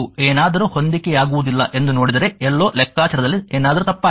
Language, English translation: Kannada, If you see something is not matching then somewhere something has gone wrong in calculation